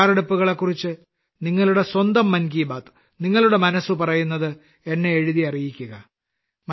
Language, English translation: Malayalam, Do keep writing your 'Mann Ki Baat' to me about these preparations as well